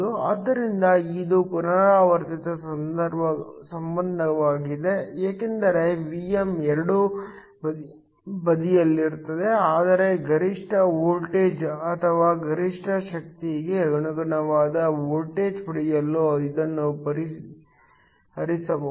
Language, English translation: Kannada, So, this is a recursive relationship because Vm is on both sides, but it can be solved in order to get the maximum voltage or the voltage corresponding to maximum power